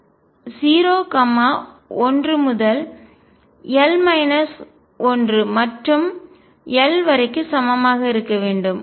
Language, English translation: Tamil, So, m can be equal to minus l, minus l plus 1 so on up to 0 1 to l minus 1 and l